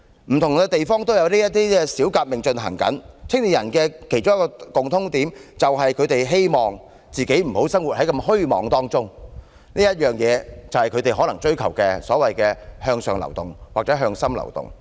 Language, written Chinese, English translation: Cantonese, 不同地方也有這些小革命正在進行，年輕人的其中一個共通點，是他們希望自己不再生活在虛妄當中，這可能便是他們所追求的向上流動或向心流動。, These little revolutions are ongoing in different places but there is one thing in common among the participating youths that is they do not want to live in vanity anymore . This may probably be the upward mobility or inward mobility they are pursuing